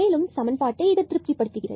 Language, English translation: Tamil, This is another point which satisfies all these equations